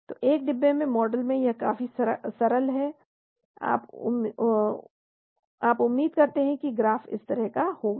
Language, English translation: Hindi, So in a one compartment model it is quite simple, you expect the graph to be like this